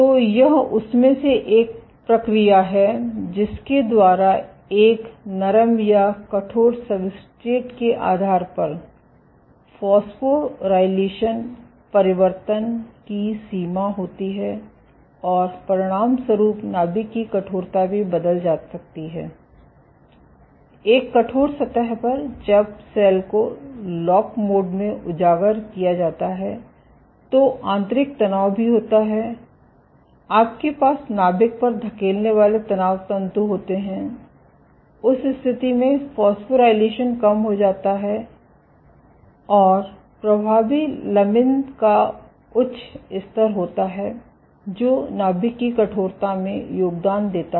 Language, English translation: Hindi, So, this is one of the mechanisms, by which depending on a soft or stiff substrate the extent of phosphorylation changes and as a consequence the nucleus stiffness can also change, on a stiff surface when the cell is exposed to lock mode stresses internal stresses also you have stress fibers pushing on to the nucleus, in that case the phosphorylation decreases and there is higher levels of effective lamin, which contributes to the stiffness of the nucleus ok